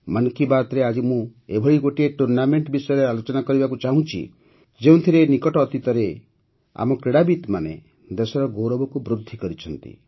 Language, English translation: Odia, Today in 'Mann Ki Baat', I will talk about a tournament where recently our players have raised the national flag